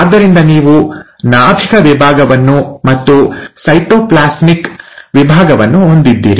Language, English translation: Kannada, So you have nuclear division, you have cytoplasmic division